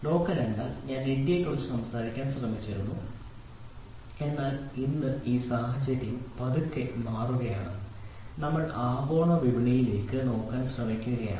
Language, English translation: Malayalam, Local means what I was trying to talk about India, but today this scenario is slowly dying we are trying to look at global market